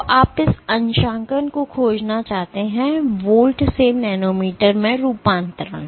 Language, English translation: Hindi, So, you want to find this calibration, the conversion from volts to nanometers